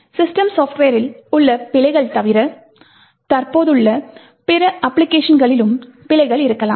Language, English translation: Tamil, In addition to the bugs in the system software, you could also have bugs in other applications that are present